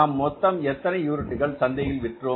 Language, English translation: Tamil, We have sold how many units in the market